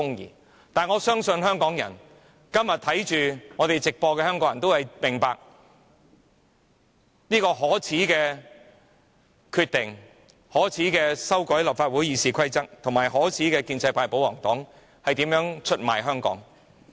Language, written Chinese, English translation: Cantonese, 然而，我相信今天正在收看直播的香港人都明白這是一個可耻的決定，可耻的建制派或保皇黨議員正透過修改立法會《議事規則》出賣香港。, However I believe Hong Kong people watching the live broadcast of this meeting do understand that this is a contemptible decision . The contemptible pro - establishment camp and royalists betray Hong Kong by amending RoP of the Legislative Council of Hong Kong